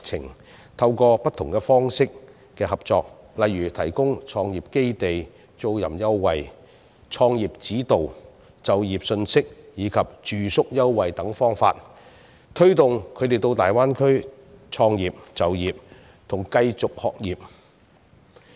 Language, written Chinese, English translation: Cantonese, 我們可透過不同方式的合作，例如提供創業基地租賃優惠、創業指導、就業信息及住宿優惠等方法，推動他們到大灣區創業、就業及繼續學業。, Attempts can be made to adopt different modes of cooperation measures to encourage young people to start businesses work and study in the Greater Bay Area . These measures may include the provision of concessions for renting premises in entrepreneur hubs business mentorship service employment information and accommodation offer